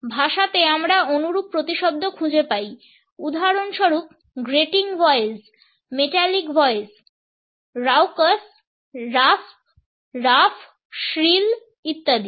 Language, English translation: Bengali, In languages we find similar synonyms for example, grating voice metallic voice raucous rasp rough shrill etcetera